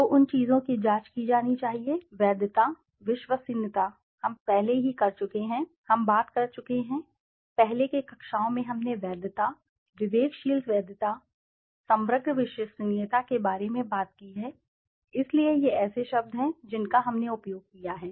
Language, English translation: Hindi, So, those things have to be checked, validity, reliability, we have already done, we have talked about, in earlier classes we have talked about constant validity, distinct validity, composite reliability, so these are terms which we have used